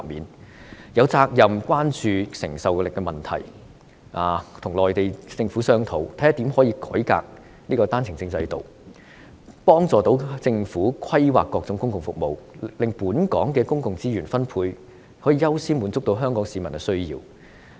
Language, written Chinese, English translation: Cantonese, 政府有責任關注承受力的問題，跟內地政府商討，看看如何能夠改革單程證制度，幫助政府規劃各種公共服務，令本港的公共資源分配可以優先滿足香港市民的需要。, The Government has the responsibility to pay attention to its capacity problem and discuss with the Mainland Government in order to study how the One - way Permit OWP system can be revamped to assist the Government in planning its various public services so that the needs of the Hong Kong residents being accorded with priority can be satisfied in the allocation of public services in Hong Kong